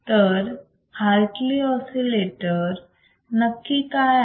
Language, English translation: Marathi, So, what exactly is Hartley oscillator is